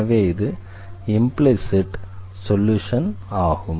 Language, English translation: Tamil, And therefore, this is called the implicit solution